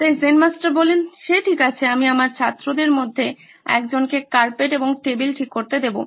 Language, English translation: Bengali, So Zen Master said it’s okay, I will get one of my students to fix the carpet and the table